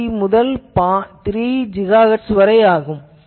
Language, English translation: Tamil, 3 to 3 GHz